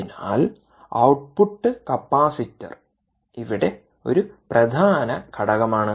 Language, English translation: Malayalam, ok, so the output capacitor is an important component here